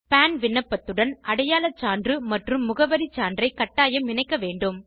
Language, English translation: Tamil, Attaching proof of identity and proof of address with a PAN application is mandatory